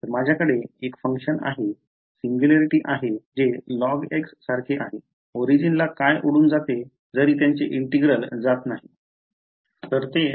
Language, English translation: Marathi, So, I have a function a singularity which is going as log x what is blowing up at the origin even its integral does not go ok